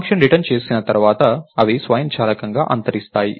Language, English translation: Telugu, When the function returns, they are automatically destroyed